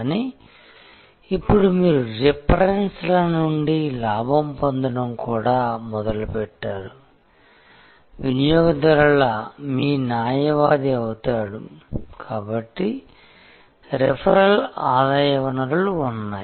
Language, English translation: Telugu, But, now you also start getting profit from references, the customer becomes your advocate, so there are referral revenue sources